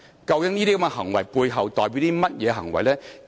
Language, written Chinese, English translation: Cantonese, 究竟這些行為背後代表的是甚麼呢？, What is the underlying meaning of those acts?